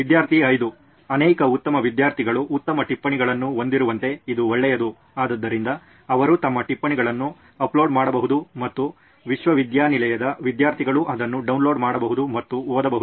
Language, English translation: Kannada, That’s a good one like many good students have good notes, so they can upload their notes and university students can download it and read it Right